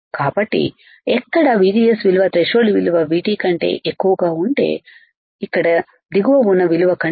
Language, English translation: Telugu, So, above this value where VGS is greater than threshold value V T above the value here the bottom